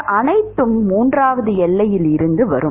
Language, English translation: Tamil, So, you will come to the third boundary condition